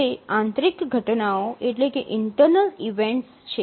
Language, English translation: Gujarati, So those are the internal events